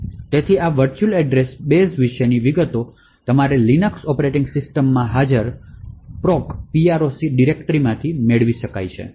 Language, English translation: Gujarati, So, details about this virtual address base can be obtained from the proc directory present in your Linux operating systems